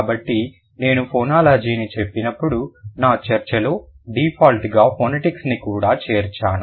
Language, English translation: Telugu, So, when I say phonology I am also including phonetics by default in my discussion